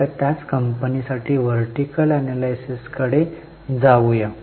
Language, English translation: Marathi, Now for the same company, let us go for vertical analysis